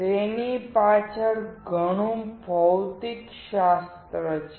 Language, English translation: Gujarati, There is lot of physics behind it